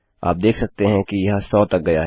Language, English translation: Hindi, You can see it has gone to hundred